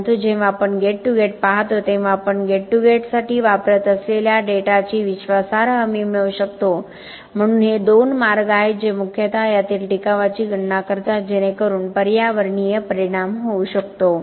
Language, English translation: Marathi, But when we look at gate to gate, we can get reliable assurance of the data that we are using for gate to gate ok so this are the two ways mostly that calculations of the sustainability in this, so that the environmental impact can be done